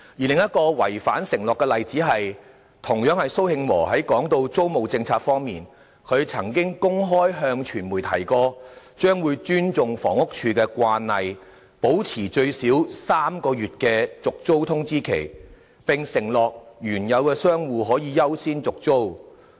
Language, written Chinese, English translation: Cantonese, 另一個違反承諾的例子是，同樣有關蘇慶和談及租務政策時的說法，他曾經公開向傳媒提及，將會尊重房屋署的慣例，保持最少3個月續租通知期，並承諾原有的商戶可以優先續租。, Another example illustrating a broken promise is also about Victor SOs comments on the leasing policy . In an open remark to the media he said he would respect HAs practice of maintaining a notice period of at least three months for tenancy renewal and promise to give priority to existing shop operators